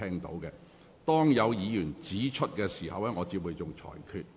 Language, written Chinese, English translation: Cantonese, 如有議員提出規程問題，我便會作出裁決。, If a Member raises a point of order I have to make a ruling